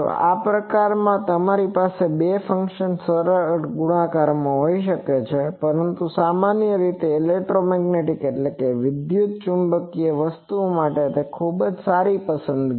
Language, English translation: Gujarati, So, if type is you can have simple multiplication of two functions, but more generally a very good choice for electromagnetic things is